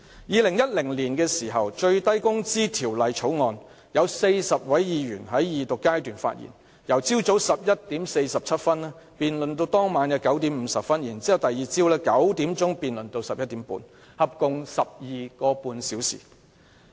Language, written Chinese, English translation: Cantonese, 2010年的《最低工資條例草案》，有40位議員在二讀辯論時發言，辯論由早上11時47分至當晚9時50分，以及翌日早上9時至晚上11時半，合共 12.5 小時。, In the case of the Minimum Wage Bill in 2010 40 Members spoke at the Second Reading debate which lasted a total of 12.5 hours from 11col47 am to 9col50 pm on the same day and from 9col00 am to 11col30 pm the following day